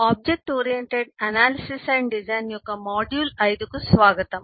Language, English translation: Telugu, welcome to module 5 of object oriented analysis and design